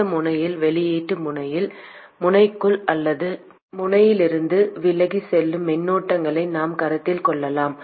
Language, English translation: Tamil, And at this node, at the output node, we can consider either current flowing into the node or away from the node